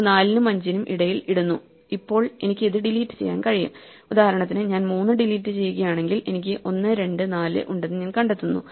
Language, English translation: Malayalam, So, it puts a between 4 and 5 and so on and now I can delete, for example if I delete 3 then I find that I have 1, 2, 4